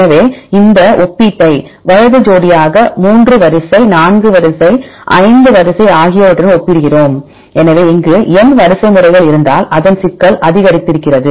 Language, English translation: Tamil, So, we extend this comparison right pairwise comparison to 3 sequence, 4 sequence, 5 sequence so its complexity increases if there is n sequences here the complexity is very high right